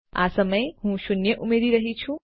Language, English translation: Gujarati, At the moment I am adding zero